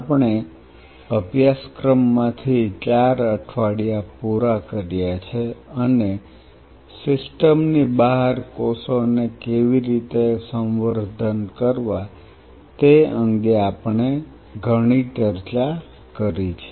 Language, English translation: Gujarati, We have finished 4 weeks halfway through the course and there are quite a lot we have discussed and shared regarding how to grow the cells outside the system